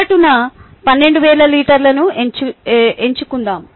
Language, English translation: Telugu, let us choose an average of twelve thousand liters